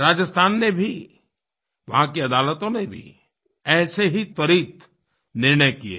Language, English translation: Hindi, Courts in Rajasthan have also taken similar quick decisions